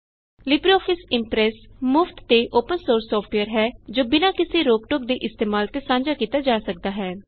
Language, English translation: Punjabi, LibreOffice Impress is free, Open Source software, free of cost and free to use and distribute